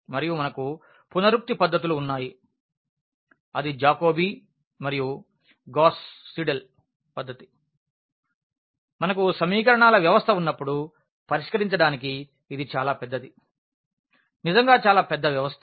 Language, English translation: Telugu, And, we have iterative methods that is the Jacobi and the Gauss Seidel method for solving when we have a system of equations which is large in number so, really a very large system